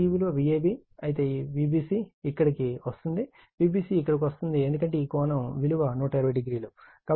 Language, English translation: Telugu, Then if it is V a b like this, then V b c will come here V b c will come here because this angle to this angle, it is 120 degree